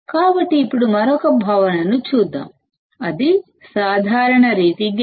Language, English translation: Telugu, So, now let us see another concept, which is the common mode gain